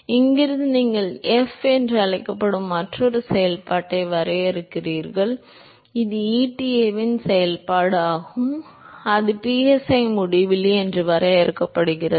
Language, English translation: Tamil, So, from here you define another function called f, which is the function of eta, and that is defined as psi uinfinity into square root of